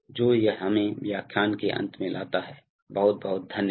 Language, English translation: Hindi, So, that brings us to the end of the lecture, thank you very much